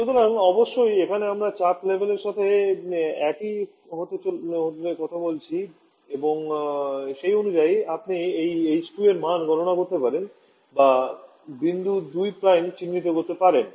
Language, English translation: Bengali, So here of course, we are talking on the final pressure to be the final temperature pressure level to be the same and according you can calculate the value of this h2 prime or, locate the point 2 prime